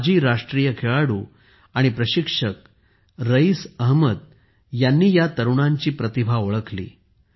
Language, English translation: Marathi, Raees Ahmed, a former national player and coach, recognized the talent of these youngsters